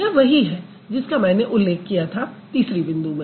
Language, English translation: Hindi, So, this is what I discussed if you refer to the point number three